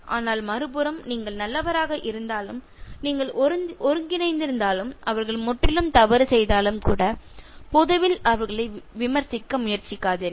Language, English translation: Tamil, But on the other hand, even if you are good, even if you are integrated and even if they are completely at fault do not try to criticize them in public, okay